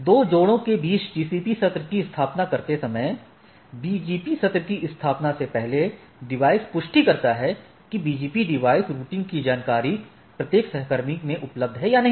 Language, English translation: Hindi, Establishing TCP sessions between the two pairs, before establishing BGP session the device verifies that BGP devices, the routing information is available in each peer